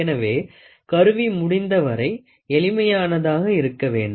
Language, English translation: Tamil, So, here the instrument must be as simple as possible